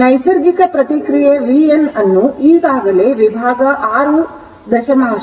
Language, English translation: Kannada, Therefore natural response v n is already expressed in section 6